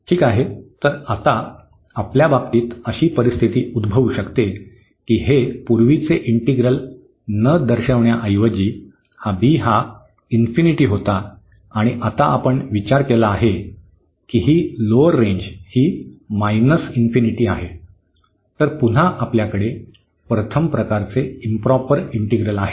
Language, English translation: Marathi, Well, so, now in this case we may have the situation that this instead of showing the earlier integral here this b was infinity and now we have considered that this the lower range is minus infinity so, again we have the improper integral of first kind